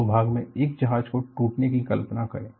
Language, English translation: Hindi, Imagine a ship breaking into 2